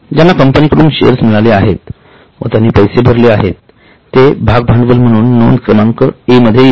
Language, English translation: Marathi, Whoever has received share from a company and has paid the money will be share capital, item A